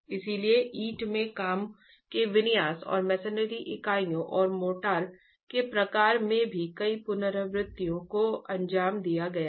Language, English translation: Hindi, So, several iterations were carried out in the configuration of the brickwork and the type of masonry units and motor as well